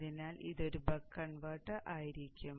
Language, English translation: Malayalam, So it will be a buck converter